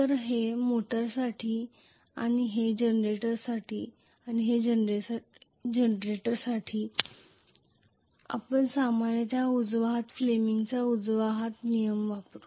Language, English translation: Marathi, So this is for motor and this is for generator for generator we will normally use right hand rule fleming’s right hand rule